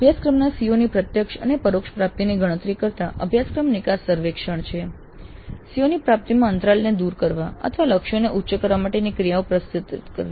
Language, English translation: Gujarati, So there are course exit surveys, then computing the direct and indirect attainment of COs of the course, then proposing actions to bridge the gap in CO attainment or enhancement of the targets